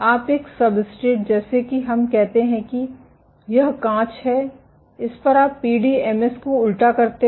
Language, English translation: Hindi, You take a substrate let us say this is glass you invert the PDMS